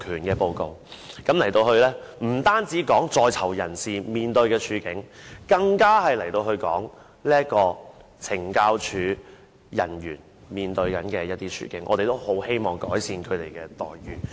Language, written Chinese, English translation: Cantonese, 該報告不單有關在囚人士面對的處境，更提到懲教署人員面對的處境，我們也很希望能改善他們的待遇。, The report not only describes the situation faced by the prisoners but also mentions the situation faced by CSD staff whose treatment should also be improved in our view